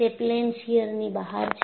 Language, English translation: Gujarati, It is out of plane shear